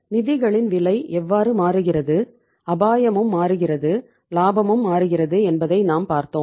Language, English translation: Tamil, And we have seen how the cost of the funds is changing, risk is also changing, profits are also changing